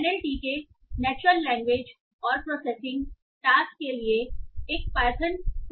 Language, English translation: Hindi, NLTK is a Python toolkit for natural language and processing tasks